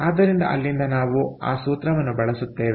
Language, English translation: Kannada, so ok, so we have to use this formula